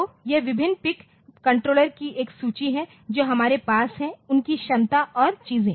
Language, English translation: Hindi, So, this is a list of different PIC controllers that we have so, their capacities and things